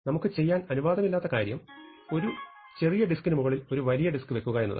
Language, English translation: Malayalam, So, the thing that we are not allowed to do is to put a larger disk on a smaller disk